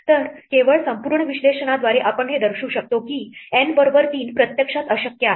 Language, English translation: Marathi, So, just by exhaustive analysis we can show that, n equal to three is actually impossible